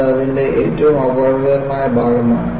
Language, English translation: Malayalam, See, that is the most dangerous part of it